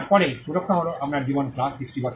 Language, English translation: Bengali, Then the protection is your life plus 60 years